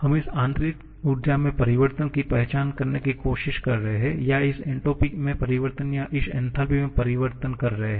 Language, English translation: Hindi, We are trying to identify the change in this internal energy or change in this entropy or maybe the change in this enthalpy